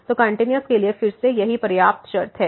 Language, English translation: Hindi, So, that is the one sufficient condition for the continuity again